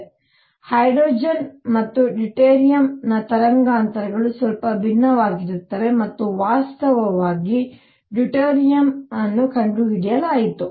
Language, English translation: Kannada, So, wavelengths for hydrogen and deuterium are going to be slightly different and in fact, that is how deuterium was discovered